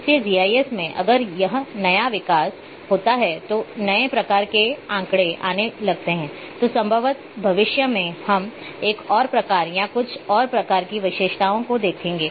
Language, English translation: Hindi, So, far into GIS if new development takes place if, new type of data start coming then probably in future we will see one more type or few more types of attributes